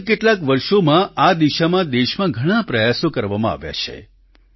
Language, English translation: Gujarati, In our country during the past few years, a lot of effort has been made in this direction